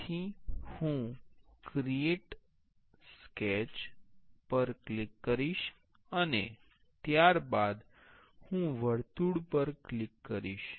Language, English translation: Gujarati, So, I will click on create a sketch and then I will click on the circle